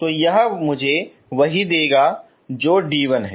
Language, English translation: Hindi, So that will give me what is d 1